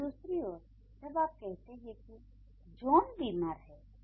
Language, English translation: Hindi, But in the other hand, when you say, let's say John is ill, okay